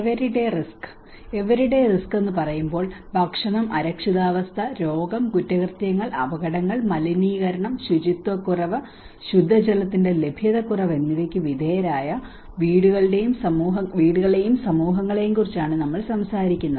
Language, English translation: Malayalam, Everyday risk, so when we say everyday risk, we are talking about households and communities exposed to foods, insecurity, disease, crime, accidents, pollution, lack of sanitation and clean water